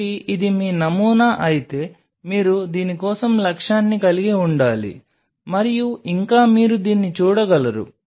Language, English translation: Telugu, So, if this is your sample you should have the objective this for and yet you will you will be able to see it